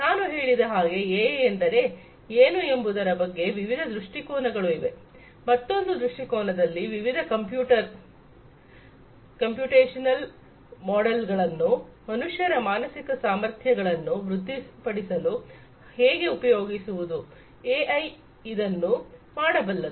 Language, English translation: Kannada, Another viewpoint as I told you that there are many different viewpoints of what AI is; another viewpoint is how we can use how we can use the different computational models to improve the mental faculties of humans is what again AI can do